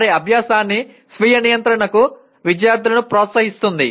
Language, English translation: Telugu, Encourages students to self regulate their learning